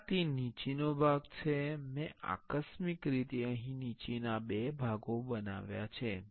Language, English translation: Gujarati, This is the bottom part I have created accidentally make two bottom parts here